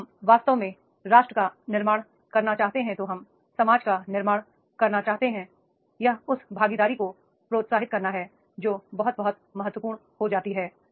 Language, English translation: Hindi, If we really want to build the nation we want to build the, it is the encouraging of the participation that becomes very, very important